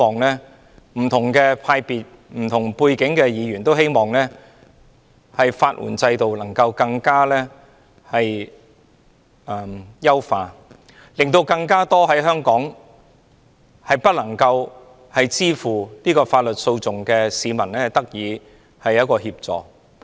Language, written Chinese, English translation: Cantonese, 不同派別和不同背景的議員也希望能夠優化法援制度，令更多無法支付法律訴訟的香港市民得到協助。, Members across different camps and backgrounds wish to enhance the legal aid system to help more Hong Kong people who cannot afford the litigation fee to get the assistance they need